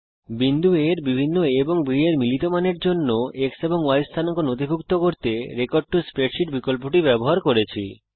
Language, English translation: Bengali, Use the Record to Spreadsheet option to record the x and y coordinates of a point A, for different a and b value combinations